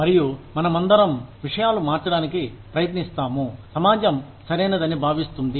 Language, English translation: Telugu, And, we all attempt to change things, that the society considers is right